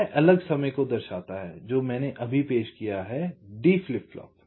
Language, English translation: Hindi, this shows the different timing that i have just introduced: d flip flop